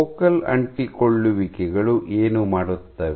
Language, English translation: Kannada, What do focal adhesions do